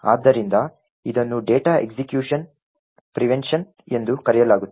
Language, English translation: Kannada, So, this is called the data execution prevention